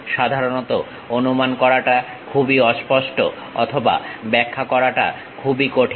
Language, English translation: Bengali, Usually, ambiguity are hard to guess or interpret is difficult